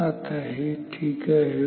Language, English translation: Marathi, Now it is fine